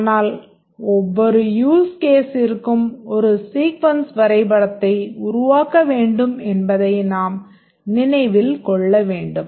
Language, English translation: Tamil, But we must remember that for every use case we need to develop one sequence diagram